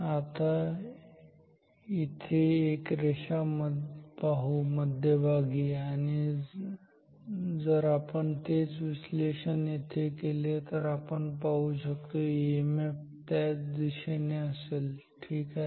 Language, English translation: Marathi, Now, and let us see a line here at the center ok, here also if we do the same analysis we will see the EMF is in the same direction ok